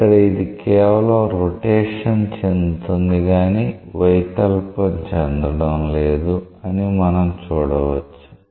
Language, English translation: Telugu, So, here it is just rotating, you see that it is not deforming